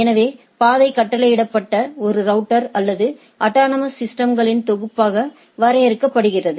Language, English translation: Tamil, So, the path is defined as a ordered set of routers or autonomous systems that the packet needs to travel through